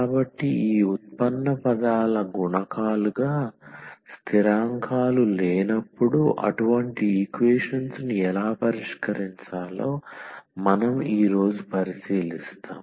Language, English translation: Telugu, So, we will today look into that how to solve such equations when we have non constants in as the coefficients of these derivative terms